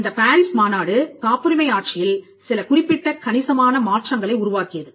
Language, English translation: Tamil, The PARIS convention created certain substantive changes in the patent regime